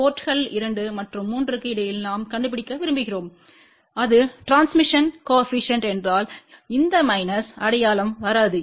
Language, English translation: Tamil, Because we want to find out between ports 2 and 3, if it was just the transmission coefficient then this minus sign will not come